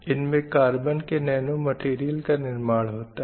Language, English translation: Hindi, So these are naturally occurring nanomaterials